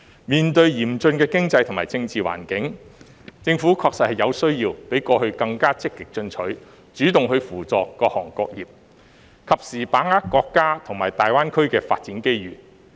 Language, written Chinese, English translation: Cantonese, 面對嚴峻的經濟和政治環境，政府確實有需要比過去更加積極進取，主動扶助各行各業，及時把握國家和大灣區的發展機遇。, In the face of the challenging economic and political environment the Government really needs to be more proactive than before . It should take the initiative to support various sectors and seize the development opportunities of the nation and the Greater Bay Area in a timely manner